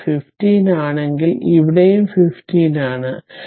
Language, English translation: Malayalam, If here it is 15 then here also it is 15 right